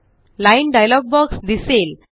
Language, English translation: Marathi, The Line dialog box appears